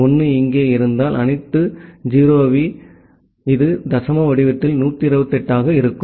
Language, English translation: Tamil, If 1 is here then all 0s, then this comes to be 128 in decimal format